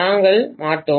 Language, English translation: Tamil, We will not